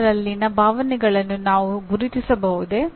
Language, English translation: Kannada, Can I recognize the emotions in others